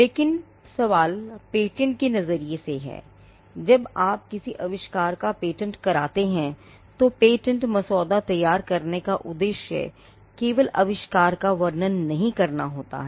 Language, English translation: Hindi, But the question is from a patenting perspective, when you patent an invention, the object of patent drafting is not to simply describe the invention